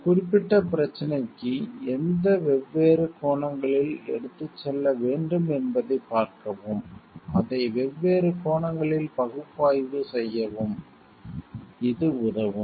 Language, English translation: Tamil, It will help us to see what different angles to be taken to a specific problem analyze it from different angles